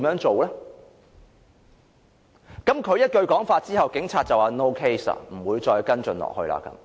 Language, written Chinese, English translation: Cantonese, 他說了那句話後，警察便說 ："no case"， 不會再跟進。, After the prisoner uttered this sentence the police officer then concluded that there was no case to follow up